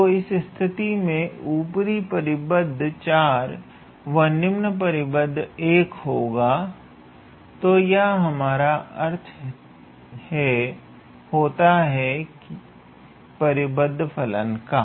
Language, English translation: Hindi, So, in that case the upper bound would be 4, and the lower bound would be 1, so that is what we mean by the bounded function